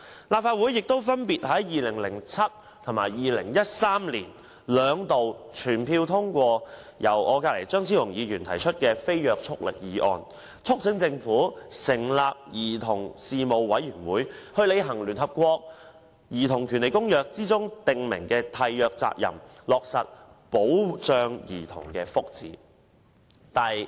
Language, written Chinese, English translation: Cantonese, 立法會亦分別在2007年及2013年兩度全票通過由張超雄議員提出的無約束力議案，促請政府成立兒童事務委員會，履行《公約》訂明的締約責任，落實保障兒童福祉。, Moreover the Legislative Council passed unanimously non - binding motions moved by Dr Fernando CHEUNG in 2007 and 2013 respectively on urging the Government to establish a Commission on Children to honour the obligations under the Convention and safeguard the well - being of children